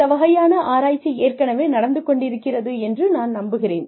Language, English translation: Tamil, I am sure, this kind of research, is already going on